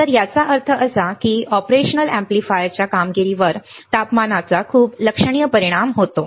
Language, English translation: Marathi, So; that means, that there is the very significant effect of temperature on the performance of the operational amplifier